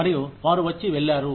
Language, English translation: Telugu, And, they came and went